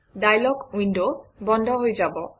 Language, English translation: Assamese, The dialog window gets closed